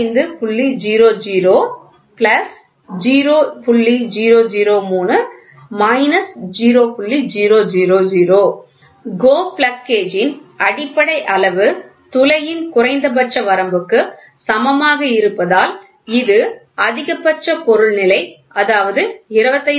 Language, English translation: Tamil, Since basic size of GO plug gauge plug gauge is equal to low limit of hole, which is maximum material condition which is nothing, but 25